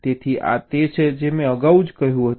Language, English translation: Gujarati, so this is what i have said earlier